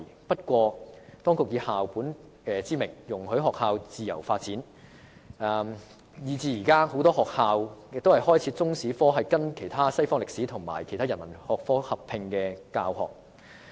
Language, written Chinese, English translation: Cantonese, 不過，當局以校本之名容許學校自由發展，以致現時很多學校將中史與西方歷史或其他人文學科合併教學。, But then as the authorities have allowed schools to develop freely in the name of school - based management many schools now teach Chinese history and world history or other humanities subjects as a combined subject